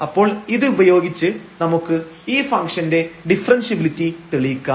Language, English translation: Malayalam, So, moving next now to show the differentiability of this function